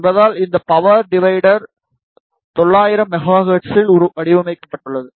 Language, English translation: Tamil, Since, this power divider is designed for 900 megahertz